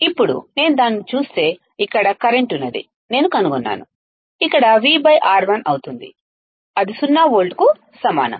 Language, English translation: Telugu, Now, if I see that then what I would find that is current here is nothing but V by R1 here will be V by R 1, that equals to zero volts